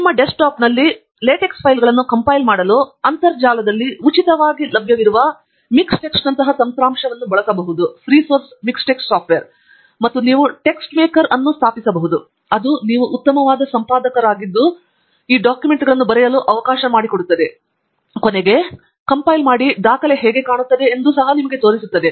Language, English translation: Kannada, You can use a software like MiKTeX, that is freely available in the Internet to compile LaTeX files on your desktop, and you can install TexMaker which is a very good editor that will let you write these documents, and compile on the fly, and then show you how the document would look like